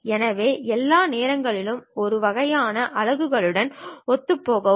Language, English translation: Tamil, So, be consistent with all the time with one kind of units